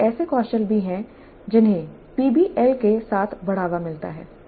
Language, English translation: Hindi, These are also the skills which get promoted with PBI